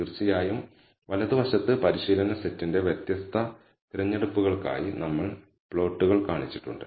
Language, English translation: Malayalam, Of course on the right hand side we have shown plots for different choices of the training set